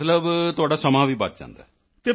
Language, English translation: Punjabi, Meaning, your time is also saved